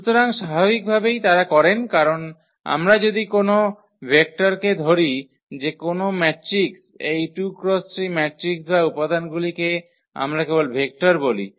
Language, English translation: Bengali, So, naturally they do because if we consider any vector any matrix from this 2 by 3 matrices or the elements we call vectors only